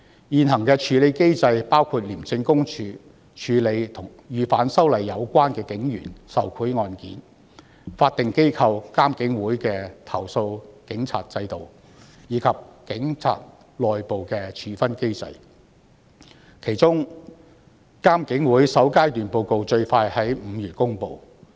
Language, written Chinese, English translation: Cantonese, 現行處理機制包括香港廉政公署處理與反修例有關的警員受賄案件、法定機構獨立監察警方處理投訴委員會處理警察的投訴，以及警察內部的處分機制，其中監警會的首階段報告最快於5月公布。, Under the existing mechanism the Independent Commission Against Corruption handles cases of police officers taking bribes in relation to the opposition to the proposed legislative amendments the Independent Police Complaints Commission IPCC a statutory body handles complaints against police officers and there is also the internal disciplinary mechanism of the Police . IPCC will publish the first interim report in May at the earliest